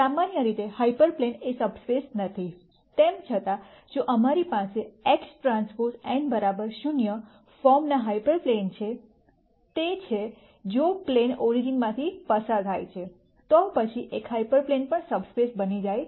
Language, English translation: Gujarati, Hyperplanes in general are not subspaces, however, if we have hyper planes of the form X transpose n equal to 0; that is if the plane goes through the origin, then an hyper plane also becomes a subspace